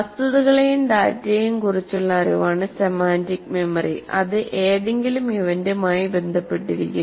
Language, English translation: Malayalam, Whereas semantic memory is knowledge of facts and data that may not be related to any event